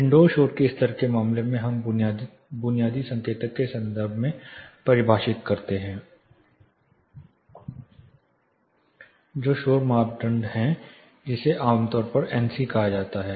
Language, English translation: Hindi, In case of indoor noise levels we define in terms of basic indicator is noise criteria commonly referred as NC